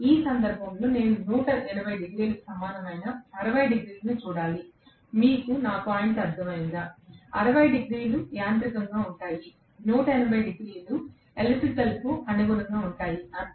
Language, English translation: Telugu, In which case, I have to rather look at 60 degrees equivalent to 180 degrees, you got my point, 60 degrees will be in mechanical, 180 degrees will be corresponding to electrical, that is all